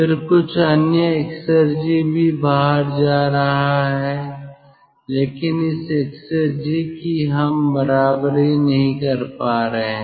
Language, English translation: Hindi, then some other exergy is also going out, but this exergy we are not able to equalize